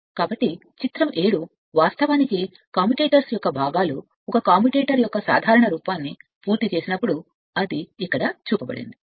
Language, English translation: Telugu, So, figure 7 actually components of a commutators is a general appearance of a commutator when completed it is showing here right this figure